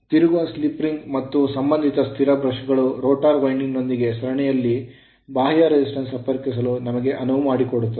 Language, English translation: Kannada, \ So, the revolving slip ring and you are associated stationary brushes enables us to connect external resistance in series with the rotor winding right